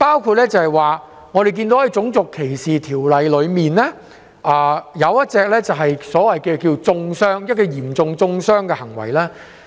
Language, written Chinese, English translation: Cantonese, 舉例而言，《種族歧視條例》其中一項條文提到嚴重中傷的行為。, For example one of the provisions in RDO concerns acts of serious vilification